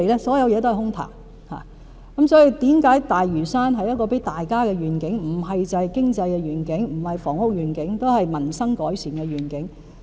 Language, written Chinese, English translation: Cantonese, 所以發展大嶼山是給大家的願景，不只是經濟、房屋的願景，也是民生改善的願景。, Hence rather than being a purely economic or housing vision the development of Lantau is also a vision for everyone for the improvement of peoples livelihood